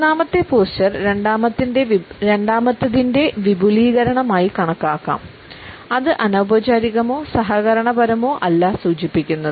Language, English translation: Malayalam, The third posture can be taken up as an extension of the second one; it is neither informal nor cooperative